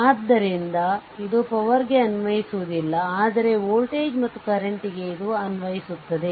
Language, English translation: Kannada, So, it is not applicable for the power, but for the voltage and current it is applicable right